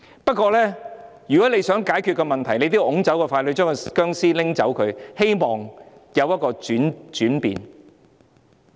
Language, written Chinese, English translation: Cantonese, 不過，如果想解決問題，我們也須推走傀儡，拿走這具僵屍，希望會有轉變。, However if we want to solve the problem we still have to push away the puppet and remove this corpse in the hope that there will be change